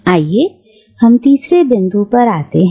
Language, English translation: Hindi, Let us come to the third point